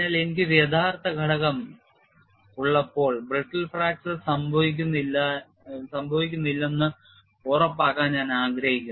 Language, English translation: Malayalam, So, when I have an actual component, I would like to ensure brittle fracture does not occur